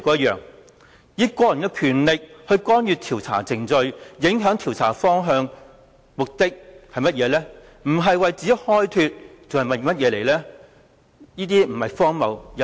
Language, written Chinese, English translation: Cantonese, 以個人權力干預調查程序及影響調查方向，如果目的不是為自己開脫還會是甚麼？, What is the purpose of exercising his personal power to interfere with the process and affect the direction of the inquiry if it is not an attempt to exonerate his responsibilities?